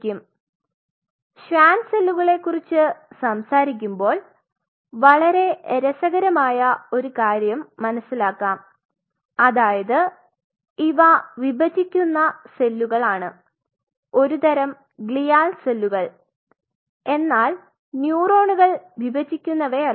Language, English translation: Malayalam, Now we realize a very interesting thing that when you talk about the Schwann cells they will be dividing these are dividing cells whereas, this is form of glial cells whereas, neurons what will be dealing with are non dividing